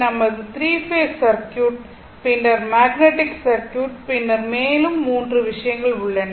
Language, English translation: Tamil, Then your 3 phase circuit, then magnetic circuit, then 3 things are there, the long way to go